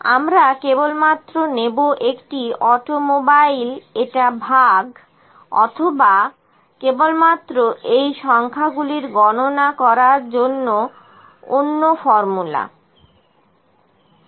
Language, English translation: Bengali, We are just taking one automobile this divided by or even just learning another formula here count of these numbers, ok